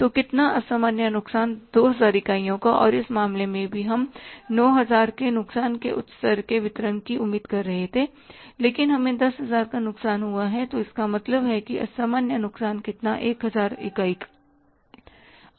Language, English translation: Hindi, So, abnormal loss is of how much 2,000 units and in this case also we were expecting at the level of distribution the loss of 9,000 but we have a loss of 10,000 so it means abnormal loss is how much 1,000 units